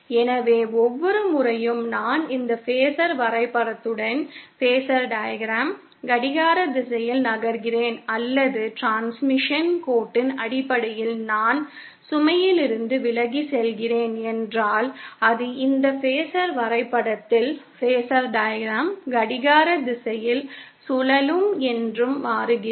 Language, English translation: Tamil, So, everytime if I am moving in a clockwise direction along this phasor diagram or if in terms of transmission line I am moving away from the load, then that translates to a clockwise rotation on this phasor diagram